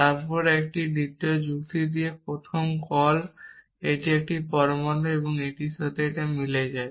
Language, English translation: Bengali, Then one with the second argument then the first call this is an atom and this matches this